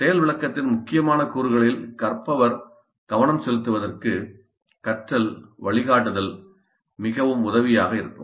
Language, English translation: Tamil, Now learner guidance is quite helpful in making learner focus on critical elements of the demonstration